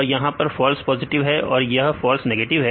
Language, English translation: Hindi, So, this is the false negative and this is the false positive